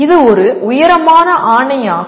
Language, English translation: Tamil, It is a tall order